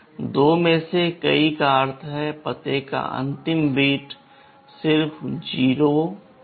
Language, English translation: Hindi, Multiple of 2 means the last bit of the address will be 0